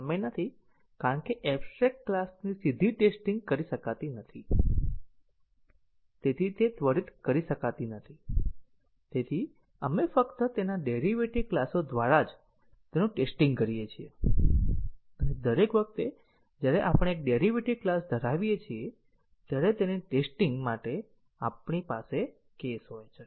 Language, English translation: Gujarati, So, we do not, since abstract class cannot be directly tested, it cannot be instantiated therefore, we test it only through its derived classes and each time we have a derived class we have a case for testing it